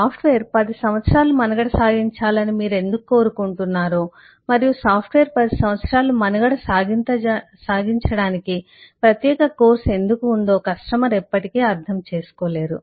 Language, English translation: Telugu, the customer will never understand why you want the software to survive 10 years and why there is a separate course to make the software survive 10 years